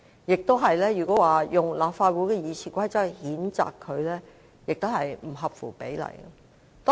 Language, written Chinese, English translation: Cantonese, 如果引用立法會《議事規則》來譴責他，亦不合乎比例。, It is also not proportionate to censure him by invoking the Rules of Procedure